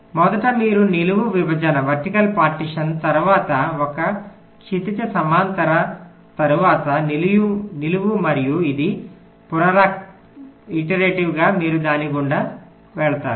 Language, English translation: Telugu, first you do a vertical partition, then a horizontal, then vertical, and this iteratively